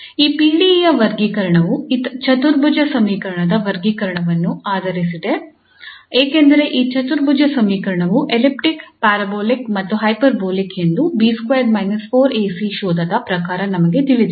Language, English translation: Kannada, So this classification of this PDE is based on the classification of this quadratic equation because we know that this quadratic equation is elliptic, parabolic and hyperbolic according to this discriminant which is B square minus 4 AC